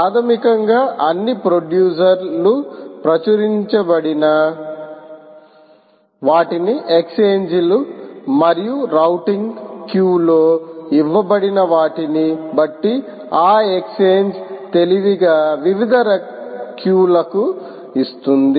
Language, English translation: Telugu, basically, all producers right to what are known as published, what are known as exchanges and the exchange, and, depending on what is given in ah, the routing q, that exchange will intelligently give it to different queues